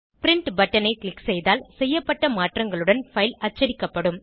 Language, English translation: Tamil, If you click on Print button, the file will be printed with the changes made